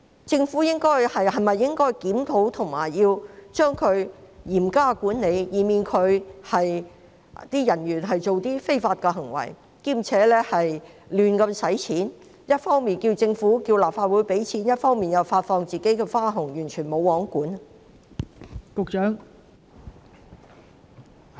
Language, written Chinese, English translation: Cantonese, 政府是否應該檢討及對其嚴加管理，以免其人員作出非法行為，同時胡亂花費，一方面要求立法會撥款，另一方面又向員工發放花紅呢？, Should the Government not conduct a review and manage them strictly to prevent their officers from committing any illegal acts and at the same time stop them from squandering money requesting funding from the Legislative Council while issuing bonuses to their staff?